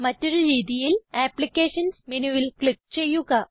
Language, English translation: Malayalam, Alternately, click on Applications menu